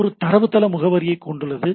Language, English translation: Tamil, So, it contains the database address